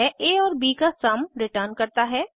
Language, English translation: Hindi, It returns sum of a and b